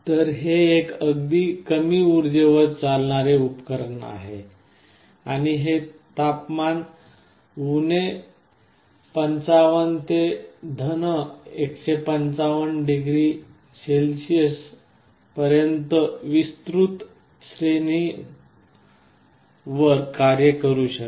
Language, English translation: Marathi, So, it is also a very low power device, and it can operate over a wide range of temperatures from 55 to +155 degree Celsius